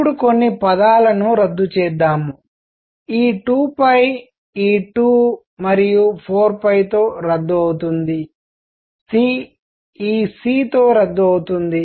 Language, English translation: Telugu, Let us now cancel a few terms; this 2 pi cancels with this 2 and 4 pi; c cancels with this c